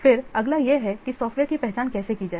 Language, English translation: Hindi, Then the next is how to identify the software